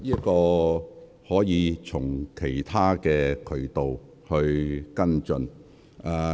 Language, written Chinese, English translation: Cantonese, 這方面的事宜可以從其他渠道跟進。, Issues in this regard can be followed up through other channels